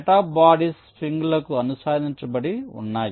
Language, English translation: Telugu, so there are a set of bodies which are attached to springs